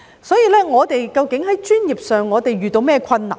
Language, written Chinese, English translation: Cantonese, 所以，我們在專業上究竟遇到甚麼困難呢？, So exactly what difficulties are we facing in the professional context?